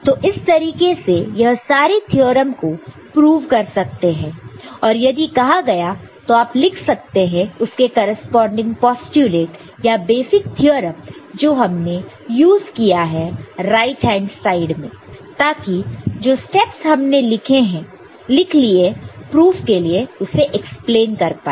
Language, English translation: Hindi, So, that way all the these theorems can be proved and if it is asked you can write corresponding postulates or other basic theorem that you have used in the right hand side to explain the steps that you have taken to arrive at that particular proof, ok